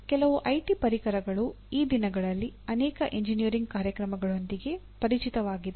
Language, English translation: Kannada, Some of the IT tools these days many engineering programs are familiar with